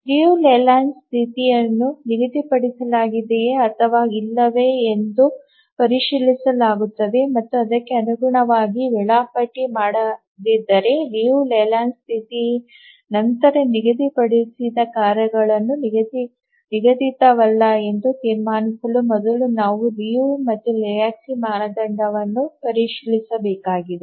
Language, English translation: Kannada, Check the layland condition, whether it is schedulable and if it is not schedulable according to Liu Leyland and before concluding that the task set is not schedulable, we need to try the Liu and Lahutski's criterion